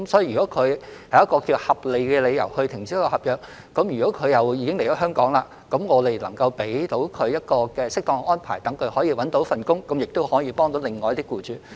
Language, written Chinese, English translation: Cantonese, 如果外傭是有合理理由停止合約，而他們已經來港，只要能夠為他們作出適當的安排，讓他們找到工作，這樣亦可以幫到另一些僱主。, In relation to FDHs who have reasonable reasons for terminating their contracts prematurely since they have already come to Hong Kong they may be able to help other employers so long as suitable arrangements are made to enable them to find jobs